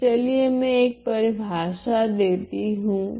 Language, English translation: Hindi, So, let me introduce a definition